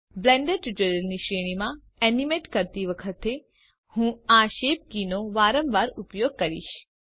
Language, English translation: Gujarati, You will find me using the shape keys very often while animating in this series of Blender tutorials